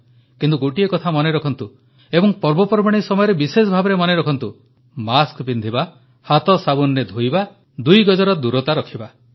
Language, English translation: Odia, However, do remember and more so during the festivals wear your masks, keep washing your hands with soap and maintain two yards of social distance